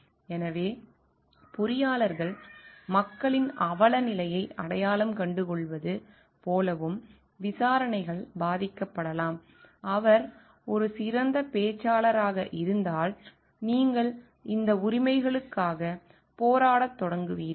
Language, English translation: Tamil, So, it may so happen like engineers may get like identified with the plight of the people, and the investigations may get influenced by if he is a very good speaker, you will start fighting for the rights of this people